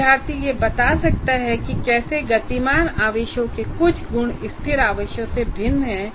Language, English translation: Hindi, So he can relate that how these some properties of moving charges differ from static charges